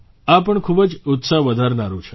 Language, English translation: Gujarati, This is also very encouraging